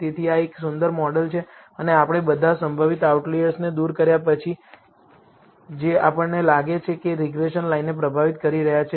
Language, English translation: Gujarati, So, this is a pretty good model and we have removed all the possible outliers that we thought were influencing the regression line